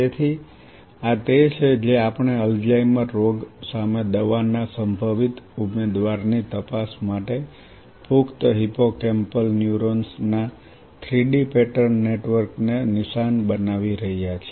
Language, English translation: Gujarati, So, this is what we are targeting 3D pattern network of adult hippocampal neurons as a testbed for screening drugs potential drug candidate against Alzheimer’s disease